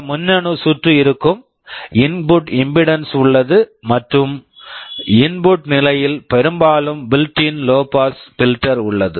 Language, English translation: Tamil, There will be some electronic circuit, there is input impedance and there is often a built in low pass filter in the input stage